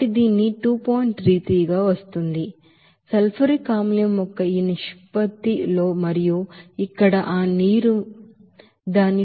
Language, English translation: Telugu, So at this ratio of the sulfuric acid and also that water here, you will see that at its 2